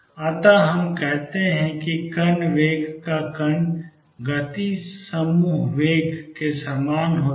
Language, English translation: Hindi, So, we say that the particle velocity of particle speed is the same as the group velocity